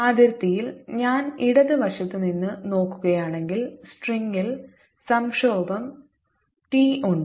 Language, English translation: Malayalam, then at the boundary, if i look at from the left hand side, there is tension, t in the string, recall that i had